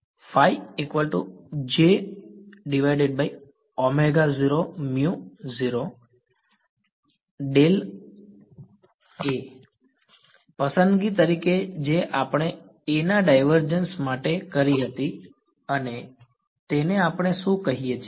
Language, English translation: Gujarati, This was a choice which we had made for the divergence of A and what it we call this